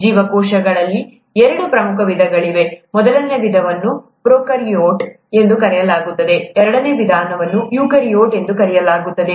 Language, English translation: Kannada, There are two major types of cells; first type is called prokaryotes, the second type is called eukaryotes